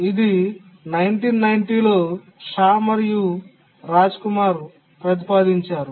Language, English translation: Telugu, It was proposed by Shah and Rajkumar, 1990